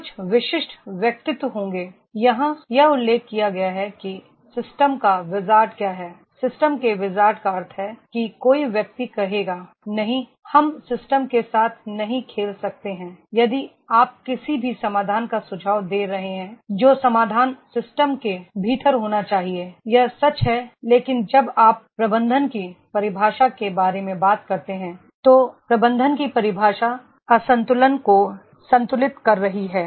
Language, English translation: Hindi, There will be the certain personalities, it has been mentioned here that is a system’s wizard, system’s wizard means somebody will say, no we cannot play with the system, if you are suggesting any solution that the solution has to be within system, that is true but when you talk about the definition of management, the definition of management is balancing the imbalances